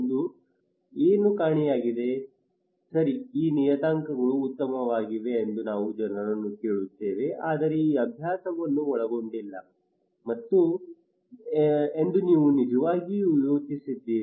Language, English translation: Kannada, But what is missing, we ask people that okay these parameters are fine but what did you really think that this exercise did not include